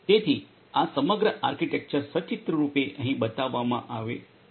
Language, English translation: Gujarati, So, this is this overall architecture pictorially it is shown over here